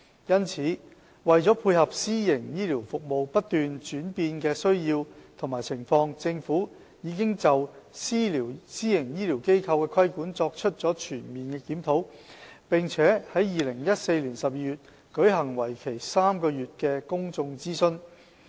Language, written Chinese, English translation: Cantonese, 因此，為配合私營醫療服務不斷轉變的需要和情況，政府已就私營醫療機構的規管作出了全面檢討，並於2014年12月舉行為期3個月的公眾諮詢。, For that reason with a view to better regulating private health care services amid the evolving need and landscape of health care services the Government conducted a comprehensive review on the regulation of PHFs and a three - month public consultation on the proposal was rolled out in December 2014